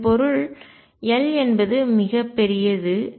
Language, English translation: Tamil, What it means is L is very, very large